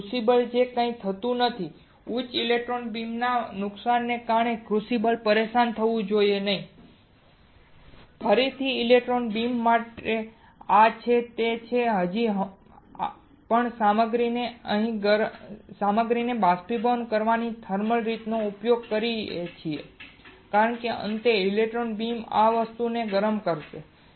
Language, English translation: Gujarati, So, that nothing happens to the crucible, crucible should not get disturbed because of the high electron beam damages and (Refer Time: 36:52) to electron beam again this is we are still using the thermal way of evaporating the material because finally, electron beam will heat this thing here